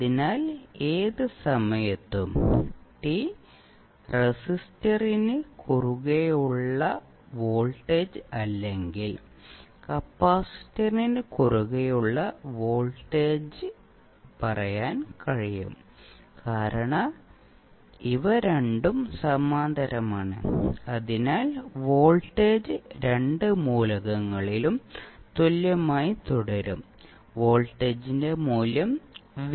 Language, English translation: Malayalam, So, at any time t we can say the voltage across the resistor or voltage across the capacitor because these two are in parallel, so voltage will remain same across both of the elements, the value of voltage is say V